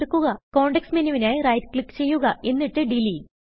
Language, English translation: Malayalam, Right click to view the context menu and click Delete